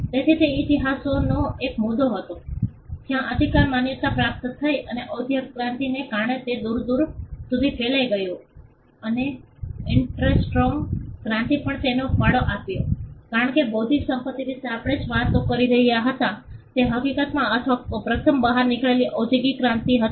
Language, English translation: Gujarati, So, that was a point in history where the right became recognized and because of the industrial revolution it spread far and wide and the interesting revolution also contributed to it because, all the things that we were talking about intellectual property Rights or first emanated in the industrial revolution